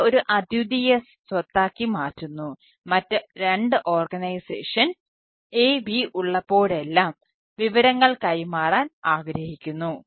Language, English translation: Malayalam, so this this makes a unique property, like whenever there is a, two organization, a, b, one to exchange information